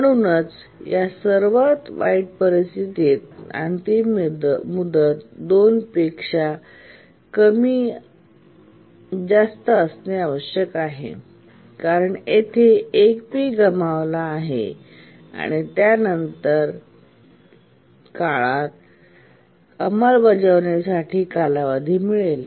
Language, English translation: Marathi, Therefore, in this worst case, the deadline must be greater than 2PS because 1 PS it just missed here, so only it can be taken over in the next period where it gets a time slot for execution